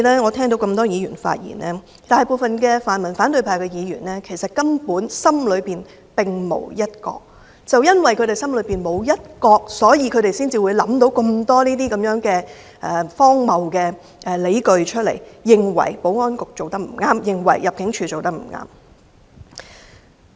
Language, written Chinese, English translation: Cantonese, 我聽到多位議員發言，大部分泛民和反對派的議員心中其實根本並無"一國"，正因為他們心中沒有"一國"，所以他們才會想到這麼多荒謬的理據，認為保安局和入境處做得不對。, Having listened to the speeches made by Members I think most Members of the pan - democratic and opposition camps actually have no regard for one country which explains why they would come up with so many absurd arguments to say that the Security Bureau and Immigration Department have done wrong